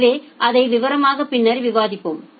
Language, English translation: Tamil, So, we will discuss those in details later on